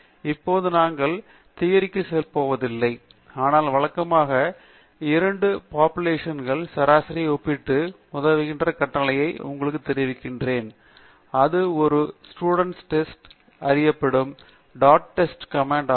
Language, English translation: Tamil, Now, we are not going to go into the theory, but let me quickly tell you the routine or the command that helps you compare averages of two different populations, and thatÕs the t dot test command, which is also known as a studentÕs t test